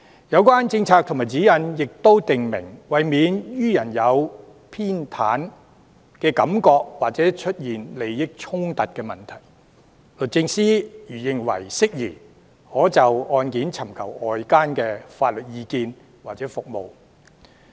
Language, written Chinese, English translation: Cantonese, 有關政策和指引亦訂明，為免予人有偏袒的感覺或出現利益衝突的問題，律政司如認為適宜，可就案件尋求外間的法律意見或服務。, The relevant policy and guideline also state that for addressing the perception of bias or issues of conflict of interests DoJ may seek outside legal opinion or service where it sees fit . The opposition primarily cites the above when raising their queries